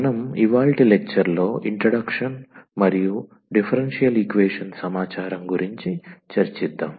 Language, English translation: Telugu, So, today’s lecture will be diverted to the introduction and the information of differential equations